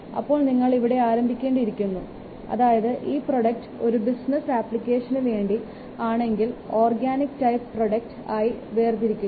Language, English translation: Malayalam, So we have to start from this point that the product is for business application and hence it can be classified as organic type